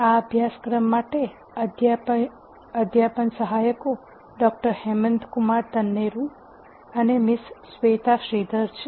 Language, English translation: Gujarati, The, teaching assistants for this course are Doctor Hemanth Kumar Tanneru and Miss Shweta Shridhar